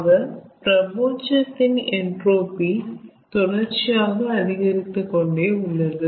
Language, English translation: Tamil, so for the universe also, entropy is continuously increasing